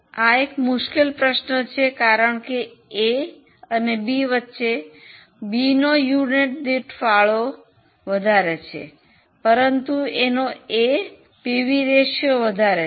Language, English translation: Gujarati, This is a very tricky question because between A and B has more contribution per unit but A has more PV ratio